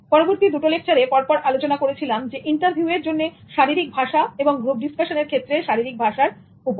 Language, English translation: Bengali, The next two lectures focused on body language for interviews and body language for group discussions simultaneously